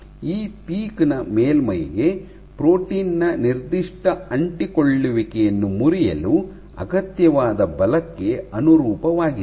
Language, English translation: Kannada, So, this peak corresponds to force required to break nonspecific adhesion of protein to surface